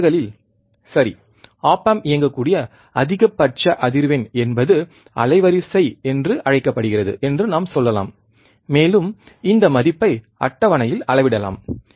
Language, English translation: Tamil, At this distortion, right we can say that, the maximum frequency at which the op amp can be operated is called bandwidth, and we can also measure this value in table